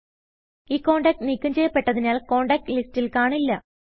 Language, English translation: Malayalam, The contact is deleted and is no longer displayed on the contact list